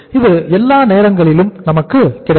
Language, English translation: Tamil, This will be all the times available to us